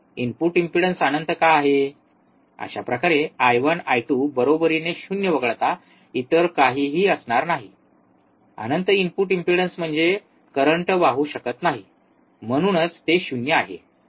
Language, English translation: Marathi, Thus I 1 will be equal to I 2 equals to nothing but 0, infinite input impedance means current cannot flow, that is why it is 0